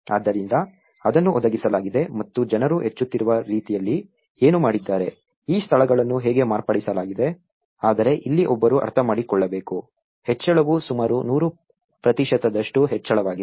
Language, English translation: Kannada, So, what it has been provided and what the people have made incrementally, how they are modified these places but here one has to understand it is like the incrementality is almost like 100 percent of increase